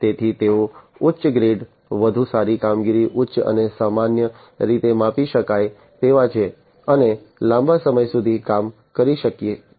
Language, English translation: Gujarati, So, they are high grade, better performing, highly and normally highly scalable, and can work for longer durations of time